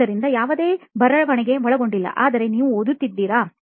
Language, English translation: Kannada, So there was no writing involved but you were reading